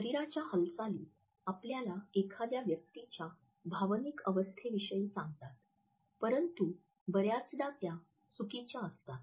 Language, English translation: Marathi, So, they are the movements of the body that tell us about the emotional state a person is experiencing, but more often faking